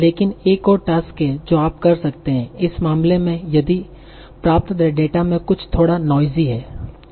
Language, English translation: Hindi, But there is another task that you might have to do certain in certain cases if the data that you are obtaining is a bit noisy